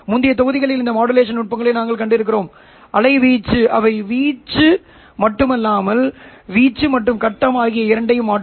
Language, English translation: Tamil, We have also seen in earlier modules those modulation techniques which will alter not only the amplitude but both amplitude as well as phase